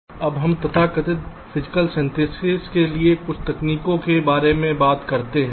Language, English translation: Hindi, so we now talk about some of the techniques for so called physical synthesis